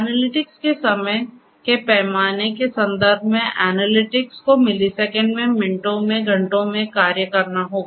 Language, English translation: Hindi, In terms of the time scales for analytics; analytics will have to be performed in milliseconds, in minutes, in hours